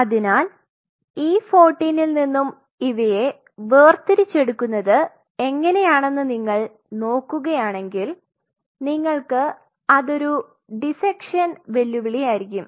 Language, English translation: Malayalam, So, from E 14, if you look at how you are going to isolate so there is a dissection challenge here